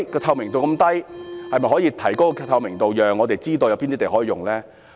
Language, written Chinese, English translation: Cantonese, 透明度這麼低，當局可否提高透明度，讓我們知道有哪些土地可以使用呢？, Transparency is very low . I wonder whether the Administration can raise the transparency and let us know which lands are available for use